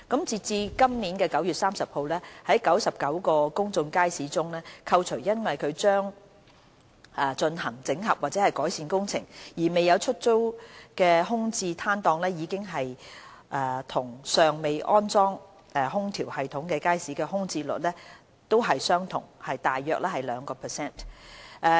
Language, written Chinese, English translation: Cantonese, 截至今年9月30日，在99個公眾街市中，扣除因將進行整合或改善工程而未有出租的空置攤檔，已經和尚未裝設空調系統的街市的空置率同為約 2%。, As at 30 September 2017 among the 99 public markets excluding the stalls which are vacant due to upcoming consolidation or improvement works the vacancy rates of markets with and without air - conditioning systems are both about 2 %